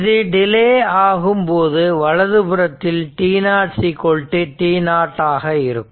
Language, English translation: Tamil, So, it is 0, but except at t is equal to t 0